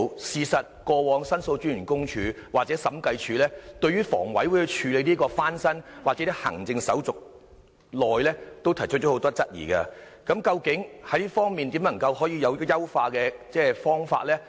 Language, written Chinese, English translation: Cantonese, 事實上，過往申訴專員公署或審計署對於房委會處理單位翻新或行政手續時間長，均提出很多質疑，究竟這方面有甚麼優化方法？, In fact the Office of The Ombudsman or the Audit Commission have raised a lot of queries about the long period of time taken by the Hong Kong Housing Authority HA to renovate vacated units or deal with the administrative formalities . Is there any way to improve the situation?